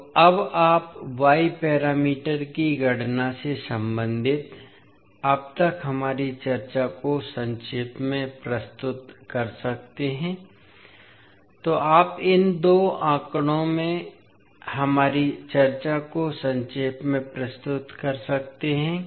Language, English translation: Hindi, So now, you can summarize our discussion till now related to the calculation of y parameters, so you can summarize our discussion in these two figures